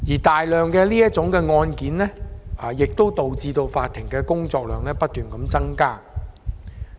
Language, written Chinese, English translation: Cantonese, 大量的這類案件亦導致法庭工作量不斷增加。, Also the large number of such cases has continuously added to the workload of the courts